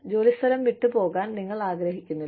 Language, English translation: Malayalam, We do not want to leave the place of work